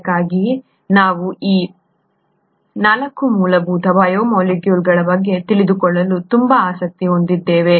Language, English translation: Kannada, That’s why we were so interested in knowing about these 4 fundamental biomolecules